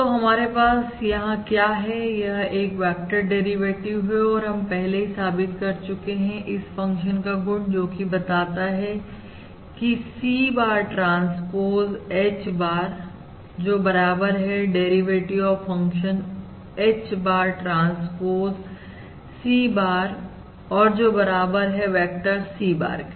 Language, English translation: Hindi, So what we have over here is a vector derivative and we also proved the property that if my function, that the partial derivative of C bar transpose H bar equals, or the derivative that is, this function, C bar transpose H bar, is equal to the derivative of this trance function, H bar transpose C bar, which is indeed equal to the vector C bar